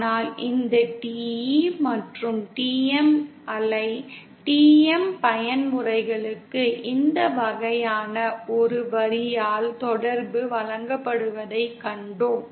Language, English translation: Tamil, But for this TE and TM wave, TM modes, we saw that the relationship is given by this kind of a line